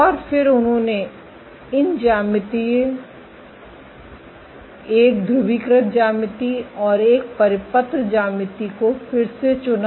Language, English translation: Hindi, And then they chose these two geometries again a polarized geometry and a circular geometry ok